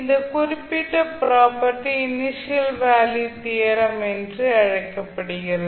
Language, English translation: Tamil, So this particular property is known as the initial value theorem